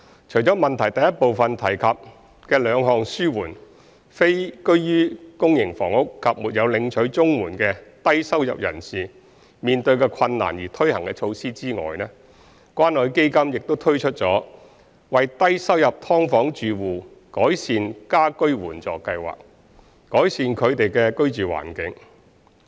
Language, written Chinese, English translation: Cantonese, 除了質詢第一部分提及的兩項紓緩非居於公營房屋及沒有領取綜援的低收入人士面對的困難而推行的措施外，關愛基金亦推出了為低收入劏房住戶改善家居援助計劃，改善他們的居住環境。, Apart from the two measures for relieving difficulties faced by low - income families who are not living in public housing and are not receiving CSSA as mentioned in the first part of the question CCF also implemented the Assistance Programme to Improve the Living Environment of Low - income Subdivided Unit Households to improve their living environment